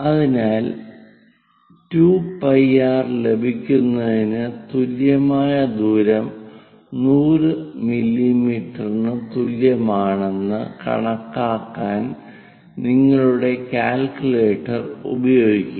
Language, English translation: Malayalam, So, use your calculator to calculate what is the equivalent radius 2 pi r is equal to 100 mm